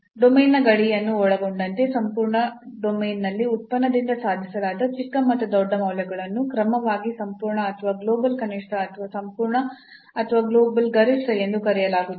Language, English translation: Kannada, So, the smallest and the largest values attained by a function over entire domain including the boundary of the domain are called absolute or global minimum or absolute or global maximum respectively